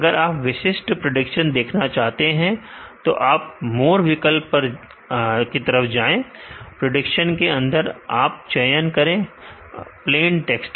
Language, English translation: Hindi, If you want to see the individual prediction go to more option, under output prediction choose plain text do ok